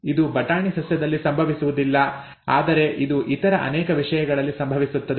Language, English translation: Kannada, It does not happen in the pea plant but it happens in many other things